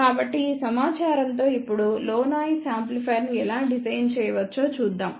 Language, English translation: Telugu, So, with this particular information now let us see how we can design a low noise amplifier